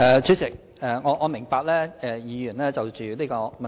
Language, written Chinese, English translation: Cantonese, 主席，我明白議員關心此問題。, President I can appreciate Members concern over this issue